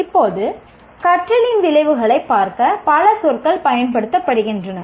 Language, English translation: Tamil, Now, there are several words used to look at outcomes of learning